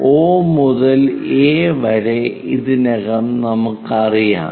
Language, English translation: Malayalam, Already we know O to A